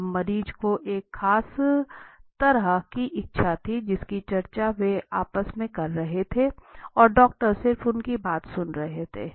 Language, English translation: Hindi, Now the patient wanted a particular kind of desired which they were discussing among themselves and doctors were just listening to them